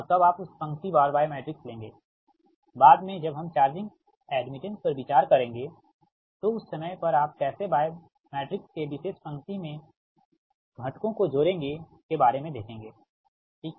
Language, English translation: Hindi, if you, if you ah that row wise y matrix later, when we will consider charging admittance, when you will, when you will add the elements of a particular row of y matrix, at that time you really something else right